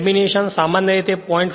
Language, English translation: Gujarati, The laminations are usually 0